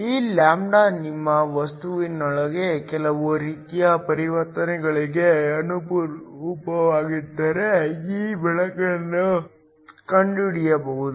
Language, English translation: Kannada, This light can be detected if this lambda corresponds to some sort of transition within your material